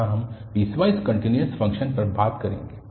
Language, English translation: Hindi, Here, we will be talking on piecewise continuous function